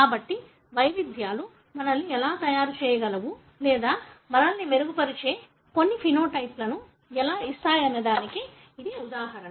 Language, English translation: Telugu, So, that is one example as to how variatons can also make us or give some phenotype that makes us better